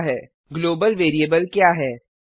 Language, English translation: Hindi, What is a Global variable